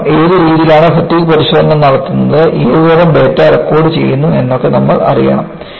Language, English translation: Malayalam, Because you need to know, what way the fatigue test is conducted and what kind of data is recorded